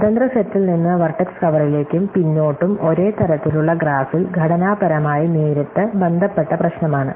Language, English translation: Malayalam, Over from independent set to vertex cover and backward which are very directly structural related problem in the same type of graph